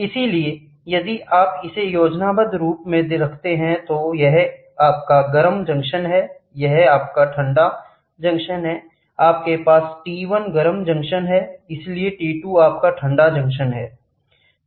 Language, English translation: Hindi, So, if you put it in the schematic form, this is your hot junction, this is your cold junction, you have T 1 the hot junction, so T 2 is your T1